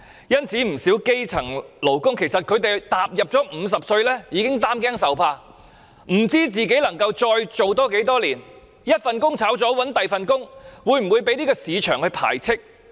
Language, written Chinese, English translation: Cantonese, 因此，不少基層勞工踏入50歲已經擔驚受怕，不知道自己能夠再工作多少年，若被辭退後再找另一份工作，會否被市場排斥？, Hence a lot of grass - roots workers feel worried at the age of 50 about how many more years can they work or whether they will be rejected by the market if they are dismissed and have to find a new job